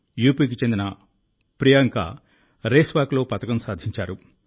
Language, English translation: Telugu, Priyanka, a resident of UP, has won a medal in Race Walk